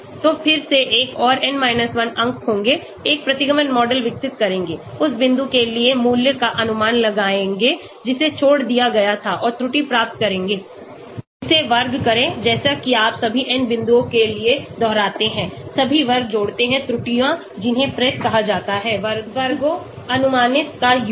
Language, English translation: Hindi, So again will have another n 1 points, develop a regression model, predict the value for that point which was left out and get the error, square it, like that you repeat for all the n points, add up all the square of the errors that is called PRESS, predicted sum of squares